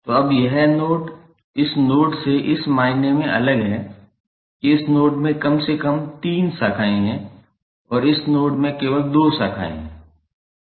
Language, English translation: Hindi, So, now this node is different from this node in the sense that this node contains at least three branches and this node contains only two branches